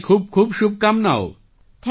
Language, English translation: Gujarati, My very best wishes